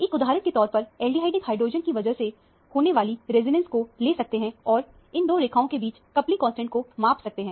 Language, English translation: Hindi, One can for example, take the resonance due to the aldehydic hydrogen and measure the coupling between these two lines